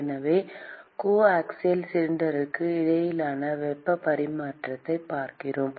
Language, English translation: Tamil, So, we are looking at heat transfer between the coaxial cylinders